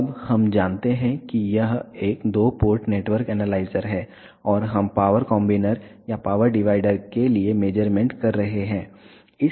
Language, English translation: Hindi, Now, we know this is a two port network analyzer and we are doing measurement for power combiner or power divider